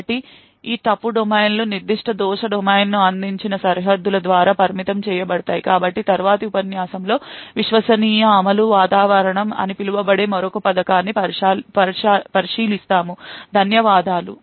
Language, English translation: Telugu, So these fault domains are restricted by the boundaries provided by that particular fault domain, so in the next lecture we look at another scheme which is known as trusted execution environment, thank you